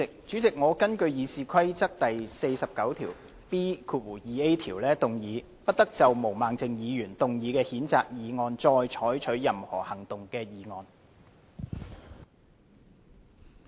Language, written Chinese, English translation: Cantonese, 主席，我根據《議事規則》第 49B 條，動議"不得就毛孟靜議員動議的譴責議案再採取任何行動"的議案。, President I move the motion under Rule 49B2A of the Rules of Procedure That no further action be taken on the censure motion moved by Ms Claudia MO